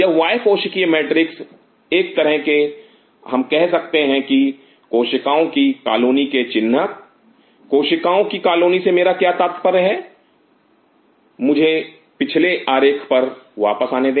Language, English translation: Hindi, This extra cellular matrix is kind of we can call it is a signature of the colony of cells what do I mean by the colony of cells or let me come back to the previous diagram